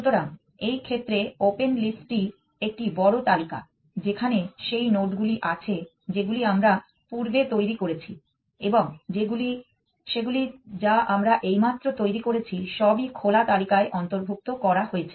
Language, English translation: Bengali, So, in this case the open list is set of includes this nodes it is big list nodes that we have generated sometime in the past and nodes that we have just generated everything is included into the open list